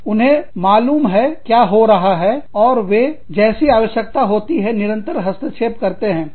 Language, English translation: Hindi, They know, what is going on, and they constantly intervene, as and when required